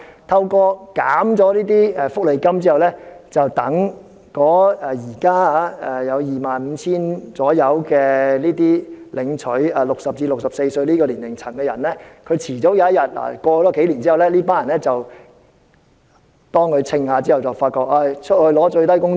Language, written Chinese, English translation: Cantonese, 削減福利金後，現時大約 25,000 名在60至64歲年齡層的領取綜援人士，終有一天，例如數年後，當他們計算過後，便會發覺被迫要去賺取最低工資。, After the welfare payment is reduced the existing CSSA recipients in the age group of 60 to 64 approximately 25 000 in number will realize one day say in a few years that they are forced to go to earn the minimum wage after doing some calculations